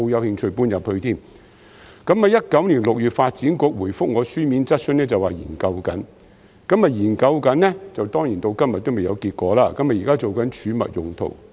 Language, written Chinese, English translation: Cantonese, 2019年6月，發展局回覆我的書面質詢時表示正在研究，但當然到了今天仍然未有結果，現時用作儲物用途。, In June 2019 the Development Bureau DEVB replied to my written question that the proposal was being considered but of course no result is available till today and the place is currently used as storage